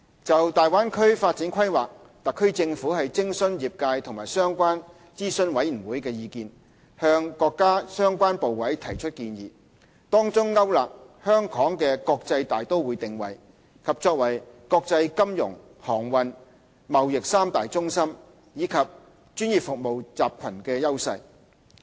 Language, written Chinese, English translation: Cantonese, 就大灣區發展規劃，特區政府徵詢業界和相關諮詢委員會，向國家相關部委提交建議，當中勾勒香港的國際大都會定位，以及作為國際金融、航運、貿易三大中心及專業服務集群的優勢。, The Government has consulted the industries and respective advisory committees on the development plan of the Bay Area and submitted its recommendations to the relevant Mainland authorities which have laid out the positioning of Hong Kong as a major international metropolis as well as its competitive edges as international financial transportation and trade centres and a professional services cluster